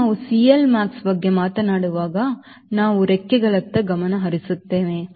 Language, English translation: Kannada, once we are talking about c l max, we are focused towards wing